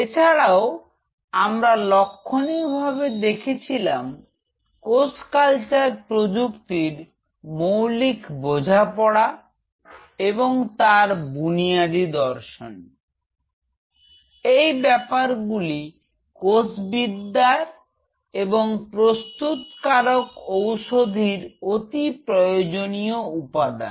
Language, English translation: Bengali, Apart from it we highlighted the fact that understanding the fundamentals of cell culture technology and the basic philosophies will be one of the very basic prerequisites for stem cell biology and regenerative medicine